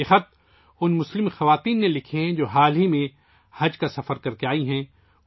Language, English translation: Urdu, These letters have been written by those Muslim women who have recently come from Haj pilgrimage